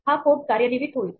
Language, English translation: Marathi, This code will execute